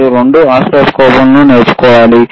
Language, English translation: Telugu, So, this is how the oscilloscopes are used,